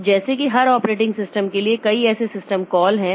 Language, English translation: Hindi, So, like that, there are many such system calls